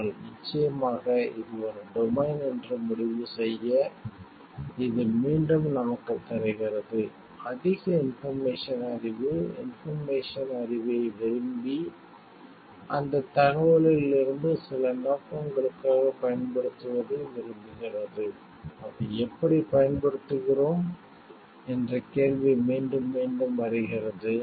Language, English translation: Tamil, But of course, to conclude this is this is a domain, which again gives us so, much power of information so, much capability to like churn out information knowledge, from that information and use it for like some purpose question comes again and again, how we use it in a responsible way and for what purpose to be use it